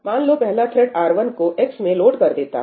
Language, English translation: Hindi, So, let us say that first thread 1 loads R1 into x